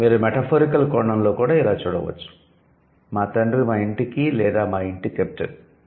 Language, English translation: Telugu, And you will also see, you can also see in a metaphorical sense, my father is the captain of our house or at our home